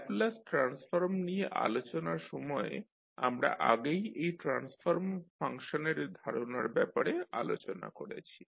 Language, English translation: Bengali, This transfer function concept we have already discussed when we were discussing about the Laplace transform